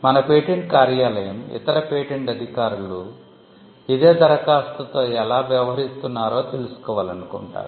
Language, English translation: Telugu, Now this is more like, the patent office would like to know how other patent officers are dealing with the same application